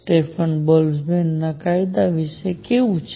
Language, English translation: Gujarati, How about Stefan Boltzmann’s law